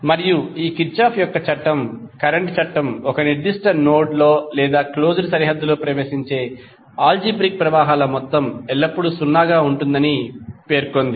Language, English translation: Telugu, And this Kirchhoff’s current law states that the algebraic sum of currents entering in a particular node or in a closed boundary will always be 0